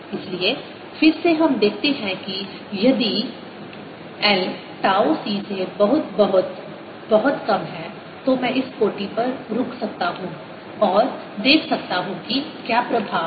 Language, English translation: Hindi, so again we see that if l is much, much, much smaller than tau c, i can stop at this order and see what the effect is